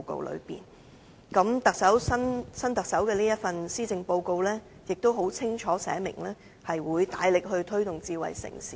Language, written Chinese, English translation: Cantonese, 現任特首亦於這份施政報告，清楚寫明會大力推動智慧城市。, The incumbent Chief Executive has stated unequivocally in the latest Policy Address that the authorities will push ahead with smart city development